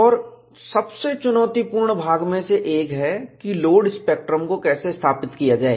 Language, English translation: Hindi, And one of the most challenging part is, how to establish a load spectrum